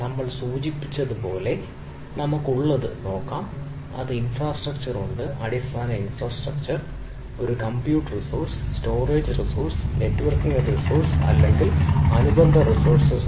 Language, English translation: Malayalam, so what we have, as ah we have mentioned, we have infrastructure, ah, right, ah, so basic infrastructure, where is a compute resource, storage resource, networking resource or a related resource on the things